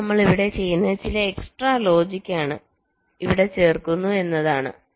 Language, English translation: Malayalam, now what we are doing here is that we are adding some extra logic